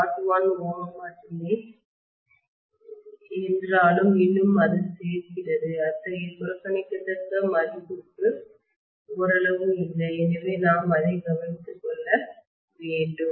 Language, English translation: Tamil, 01 ohms, still it adds up and it comes to somewhat not such a negligible value so we have to take care of that